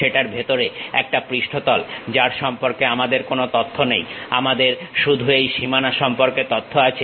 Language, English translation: Bengali, A surface inside of that which we do not have any information, what we have is only the boundary information's we have